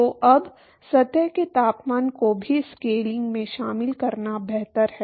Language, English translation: Hindi, So, now, it is better to incorporate the temperature of the surface also in the scaling